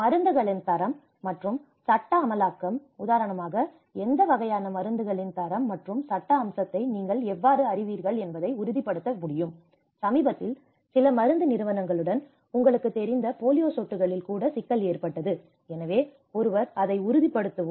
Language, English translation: Tamil, The quality and legal enforcement of drugs, how one can ensure you know the quality and the legal aspect of how what kind of drugs for instance, recently there was an issue with certain pharmaceutical companies on even the polio drops you know, so one who can ensure it